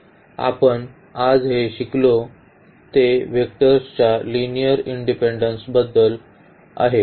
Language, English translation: Marathi, So, what we have learnt today, it is about the linear independence of the vectors